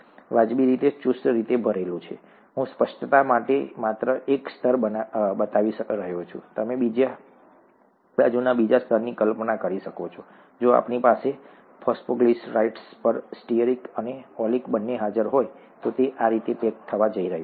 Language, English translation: Gujarati, Reasonably tightly packed, I am just showing one layer for clarity, you can imagine the other layer on the other side; whereas if we have both stearic and oleic present on the phosphoglycerides, then it is going to pack like this